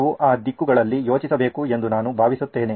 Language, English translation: Kannada, I think we should think in those directions